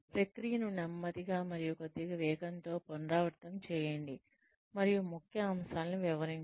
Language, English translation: Telugu, Repeat the process, at a slower pace, and at a slower speed, and explain the key points